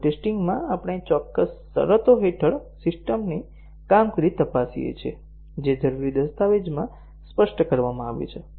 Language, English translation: Gujarati, In load testing, we check the system performance under specified conditions that have been specified in the requirements document